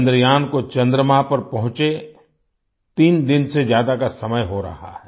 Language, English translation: Hindi, It has been more than three days that Chandrayaan has reached the moon